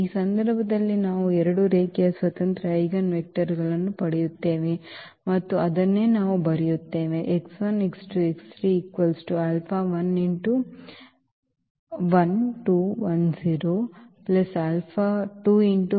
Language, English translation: Kannada, So, in this case we will get two linearly independent eigenvectors, and that is what we write